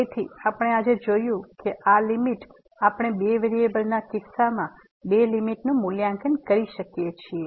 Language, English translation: Gujarati, So, what we have seen today that the limit, we can evaluate the limit in two in case of two variables